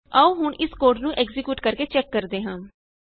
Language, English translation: Punjabi, Now lets check by executing this code